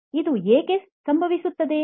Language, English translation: Kannada, Why this happens